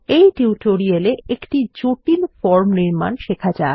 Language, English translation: Bengali, In this tutorial, let us learn about building a complex form